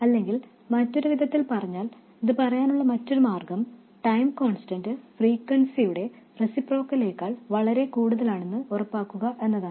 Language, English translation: Malayalam, Or in other words, another way of saying that is to make sure that the time constant is much more than the reciprocal of the frequency